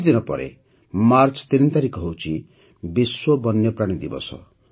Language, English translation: Odia, A few days later, on the 3rd of March, it is 'World Wildlife Day'